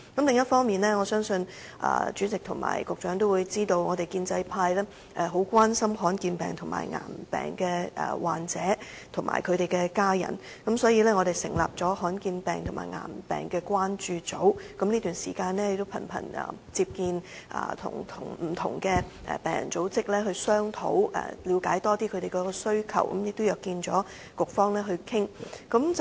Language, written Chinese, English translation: Cantonese, 另一方面，我相信主席和局長皆知道，我們建制派十分關心罕見疾病和癌病患者及其親屬，所以我們成立了罕見病癌病關注組，這段時間頻頻與不同病人組織商討，以了解他們的需要，並且約見局方討論。, In the meanwhile I believe the President and the Secretary must be aware that we in the pro - establishment camp are very much concerned about patients with rare diseases and cancers and their families . For this reason we have formed a concern group for rare diseases and cancers and frequently met with various patients groups throughout this period in a bid to understand their needs . We have also met and held discussions with the relevant Bureaux